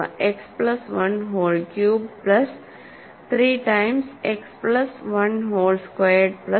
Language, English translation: Malayalam, So, X plus 1 whole cubed plus 3 times X plus 1 whole squared plus 2